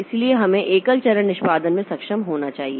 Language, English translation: Hindi, So, you should be able to single step execution